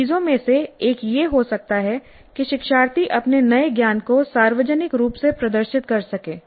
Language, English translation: Hindi, One of the things can be that learners can publicly demonstrate their new knowledge